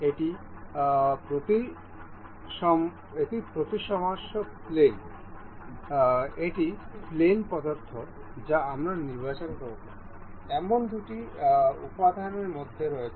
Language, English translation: Bengali, This is symmetry plane; this is the plane preference that is between the two elements that we will be selecting